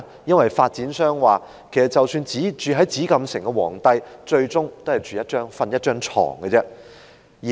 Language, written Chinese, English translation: Cantonese, 因為發展商說即使居於紫禁城的皇帝最終都只是睡在一張床上。, Why? . Because the developer said that even a Chinese emperor living in the Forbidden City ultimately just slept on a bed